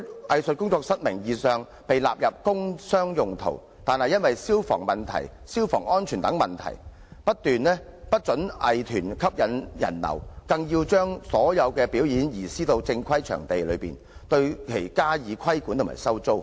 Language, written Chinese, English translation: Cantonese, 藝術工作室名義上被納入工商用途，但卻因為消防安全等理由不得吸引人流，更要求將所有表演移師到正規表演場地進行，對其加以規管及收租。, Arts studios are nominally zoned as premises for industrial and commercial purposes but they are not allowed to attract clientele due to fire safety considerations and are required to stage all performances in formal performing venues so that the Government may impose regulation and rent on them